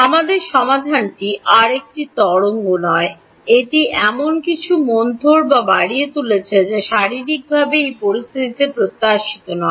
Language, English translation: Bengali, Our solution is no longer a wave, it is attenuating or increasing something which is not physically expected in this situation